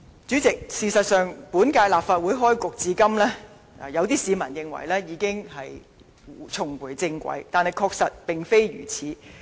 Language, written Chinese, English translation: Cantonese, 主席，事實上，本屆立法會開始至今，有市民認為已經重回正軌，但確實並非如此。, President some people think that having commenced for a while the current legislature is able to function properly now . But this is not the case